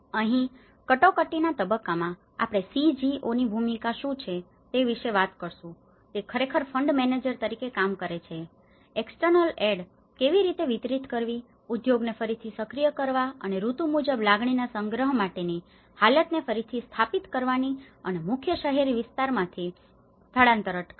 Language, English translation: Gujarati, And here, in the emergency phase, we talk about what is the role of this CGOs, they actually worked as a kind of fund managers, how to distribute the external aid, reactivating the industry and re establishing conditions for collection of seasons harvest and preventing migration to main urban areas